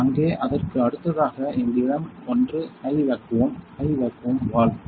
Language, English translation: Tamil, And there next to it; we have this one is the high vacuum; high vacuum valve